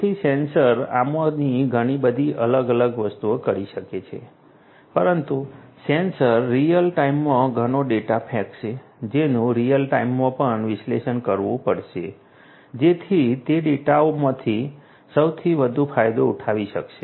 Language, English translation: Gujarati, So, sensors can do number of these different things, but the sensors will throwing lot of data in real time which will have to be analyzed in real time as well in order to make the most out of those data that that have been retrieved